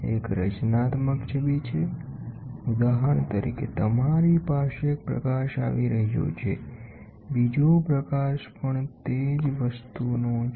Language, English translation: Gujarati, One is constructive image for example you have one light coming like this, the other light is also of the same thing